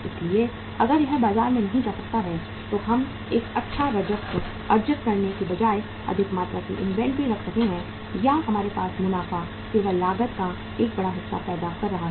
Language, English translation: Hindi, So if it cannot go to the market we are keeping a high amount of inventory rather than earning a good revenue or profits for us is only causing a larger amount of the cost